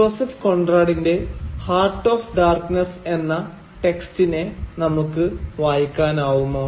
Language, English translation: Malayalam, Can there be a contrapuntal reading of Joseph Conrad’s Heart of Darkness, the text